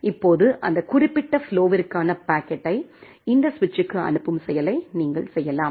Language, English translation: Tamil, Now for that particular flow, you can make action that forward the packet for this particular flow to this switch